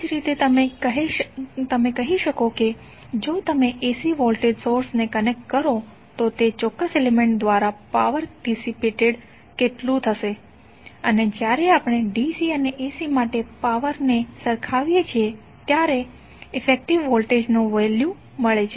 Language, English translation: Gujarati, Similarly you can say that if you connect the AC voltage source then how power would be dissipated by that particular element and when we equate the power for DC and AC we get the value of effective voltage